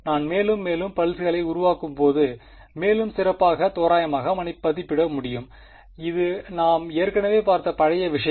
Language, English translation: Tamil, As I make more and more pulses I can approximate better and better right this is the old stuff we have already seen this ok